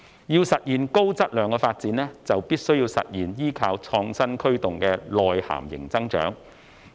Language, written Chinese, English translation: Cantonese, 要實現高質量發展，便必須實現依靠創新驅動的內涵型增長。, In order to realize high - quality development China must pursue innovation to achieve high - quality growth driven by domestic demand